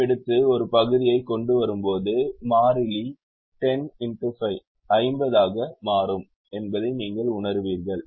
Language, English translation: Tamil, and when we take the l c m and bring it to a single fraction, you'll realise that the constant becomes ten into five